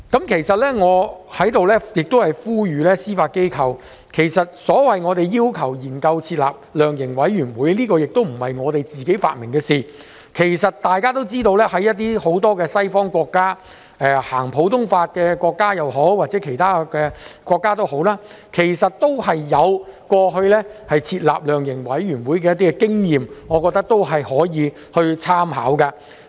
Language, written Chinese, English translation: Cantonese, 我想在此呼籲司法機構，其實所謂要求研究設立量刑委員會，並非我們自己發明的事，大家也知道很多西方國家，不論是普通法系統的國家或者其他法律系統的國家，其實過去也有設立量刑委員會的經驗，我認為可以參考一下。, I wish to urge the Judiciary that the request for setting up a sentencing commission or council is actually not something invented by us . Members should know that in many Western countries no matter whether they adopt common law system or otherwise many of them actually have the experience of setting up their own sentencing commissions or councils thus I consider we should make reference to their experience